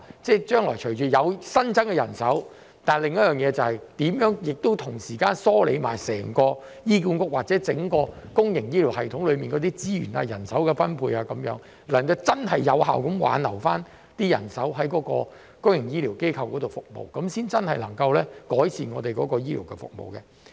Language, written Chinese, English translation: Cantonese, 雖然將來會有新增的人手，但我們亦要同時梳理整個醫管局或整個公營醫療系統的資源、人手分配，以致能夠真正有效地挽留人手在公營醫療機構服務，這樣才真正能夠改善我們的醫療服務。, Although there will be additional manpower in the future we have to ensure proper allocation of resources and manpower in HA or the public healthcare system as a whole so as to genuinely and effectively retain manpower in the public healthcare sector thereby genuinely improving our healthcare services